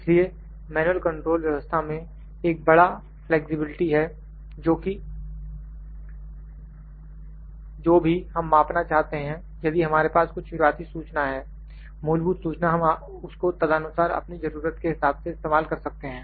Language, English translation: Hindi, So, in manual system there is a big flexibility that whatever we need to measure if we know the some initial information, basic information we can use it accordingly according to our requirement